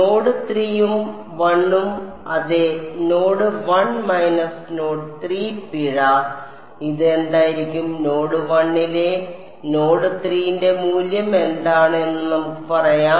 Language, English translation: Malayalam, Node 3 and 1, yeah node 1 minus node 3 fine, what will this be; what is the value of T 2 x at node 3 at node 1 let us say